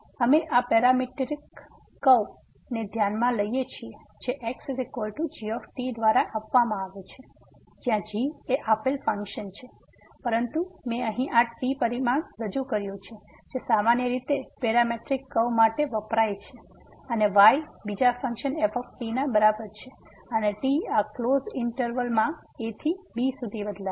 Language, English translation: Gujarati, So, here now we consider this parametric curve which is given by is equal to ); is the function the given function there, but I have introduced this parameter which is commonly used for the parametric curves and the is equal to the other function and varies from to in this close interval